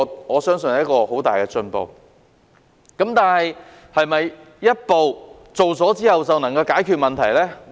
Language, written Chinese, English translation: Cantonese, 我相信這是很大的進步，但是否做了這一步之後便能夠解決問題呢？, I believe this is a very big step forward but can the problems be solved after taking this step?